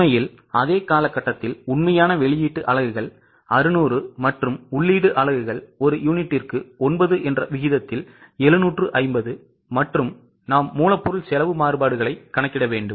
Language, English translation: Tamil, In reality for the same period the actual output units are 600 and the input units are 750 at 9 per unit and we have to compute material cost variances